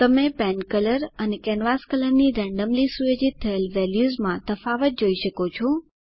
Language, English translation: Gujarati, You can see the difference in randomly set values of pen color and canvas color